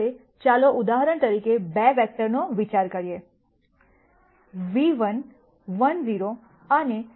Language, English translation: Gujarati, Now, let us consider 2 vectors for example, nu 1 1 0 and nu 2 0 1